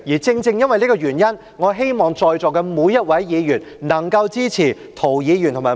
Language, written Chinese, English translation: Cantonese, 正正因為這個原因，我希望在座每一位議員能夠支持涂議員和毛議員的兩項修正案。, This is precisely the reason why I hope that every Member present will support the two amendments proposed by Mr James TO and Ms Claudia MO respectively